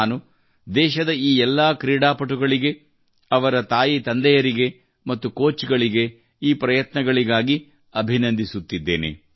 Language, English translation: Kannada, I congratulate all these athletes of the country, their parents and coaches for their efforts